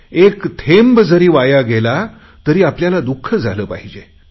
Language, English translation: Marathi, Even if a drop of water is wasted, then we should feel remorse and pain